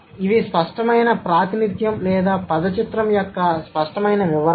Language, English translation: Telugu, So, these are the explicit representation or the explicit interpretation of a word picture